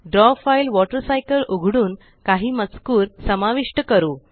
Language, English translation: Marathi, Let us open the Draw file Water Cycle and add some text to it